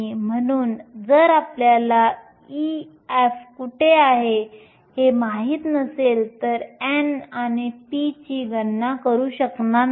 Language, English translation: Marathi, So, if you do not know where e f is you will not be able to calculate n and p